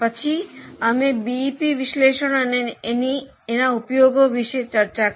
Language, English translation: Gujarati, Then we also discuss the BEP analysis